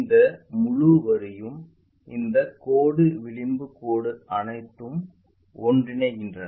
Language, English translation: Tamil, This entire line this line the edge line all the time maps